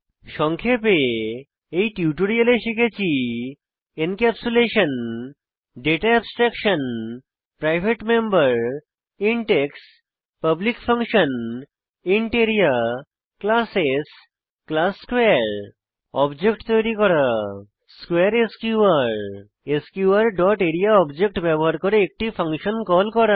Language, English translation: Bengali, Let us summarize In this tutorial we have learnt, Encapsulation Data Abstraction Private members int x Public functions int area Classes class square To create object square sqr To call a function using object sqr dot area() As an assignment write a program to find the perimeter of a given circle